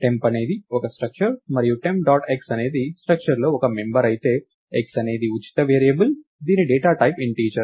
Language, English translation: Telugu, temp is a structure and temp dot x is a member within the structure, whereas x is a free variable, its of the data type integer